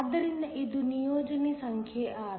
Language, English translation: Kannada, So, this is assignment number 6